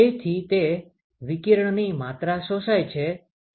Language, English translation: Gujarati, That is the amount of radiation that is absorbed